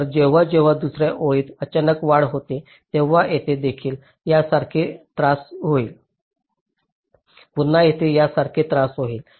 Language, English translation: Marathi, so whenever there is a sudden rise in the other line, so here also there will be a disturbance like this